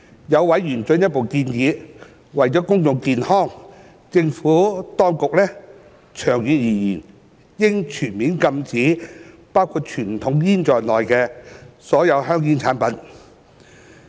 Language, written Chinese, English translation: Cantonese, 有委員進一步建議，為了公眾健康，政府當局長遠而言應全面禁止包括傳統香煙在內的所有香煙產品。, Certain member has further suggested that in the long run a full ban should be imposed on all tobacco products including conventional cigarettes for the sake of public health